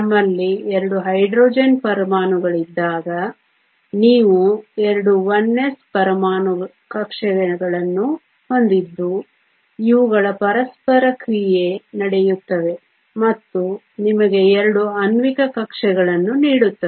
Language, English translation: Kannada, When we have two Hydrogen atoms you have 2 1 s atomic orbitals that come together these interact and give you two molecular orbitals